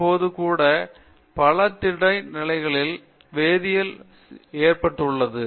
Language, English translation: Tamil, Even now many solid state chemistry will not agree with that